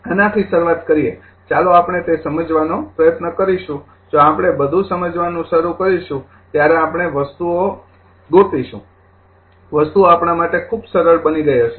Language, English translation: Gujarati, Starting from this let us will try to understand the if we start to understand everything the later stage we will find things say are things are become very simple to us